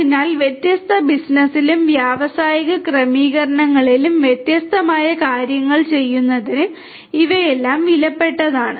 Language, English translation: Malayalam, So, these are all valuable for doing different different stuff in different business and industrial settings